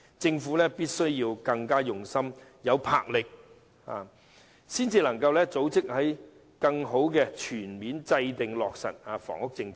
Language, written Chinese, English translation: Cantonese, 政府必須更用心、有魄力、有組織，才能全面制訂及落實房屋政策。, The Government must make more effort take more resolute action and conduct better planning in order to formulate and implement a comprehensive housing policy